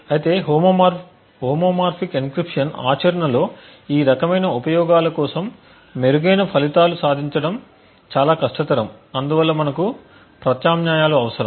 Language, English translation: Telugu, However homomorphic encryption is quite difficult to achieve in practice especially for this kind of uses and therefore we would require alternate options